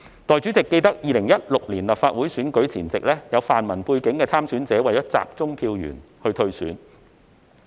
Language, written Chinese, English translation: Cantonese, 代理主席，記得2016年立法會選舉前夕，有泛民背景的參選者為了集中票源而退選。, Deputy President I recalled on the eve of the 2016 Legislative Council Election some pan - democratic candidates withdrew to avoid vote - splitting